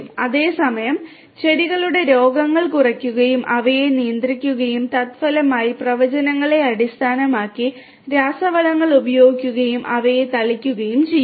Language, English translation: Malayalam, And at the same time decrease the incidences of the plant diseases and control them and consequently based on the predictions optimally use the fertilizers and spray them